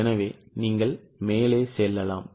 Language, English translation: Tamil, So, you can go up